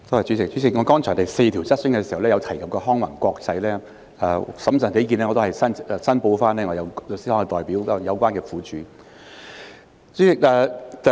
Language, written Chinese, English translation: Cantonese, 主席，剛才第四項質詢時，我曾提及康宏環球，審慎起見，我要申報我的律師行是有關苦主的代表。, President I mentioned Convoy Global in Question 4 just now . For the sake of prudence I have to declare that my law firm represents the victims